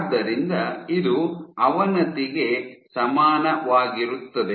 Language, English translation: Kannada, So, this is equivalent of degradation